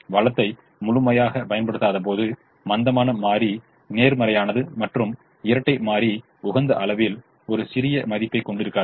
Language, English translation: Tamil, when the resource is not utilized fully, the slack is positive and the dual will not have a marginal value at the optimum